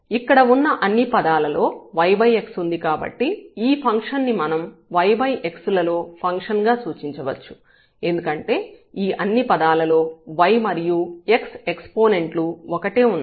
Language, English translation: Telugu, So, all these terms here or this function we can denote as the function of y power x, because this y power x appears together in all the terms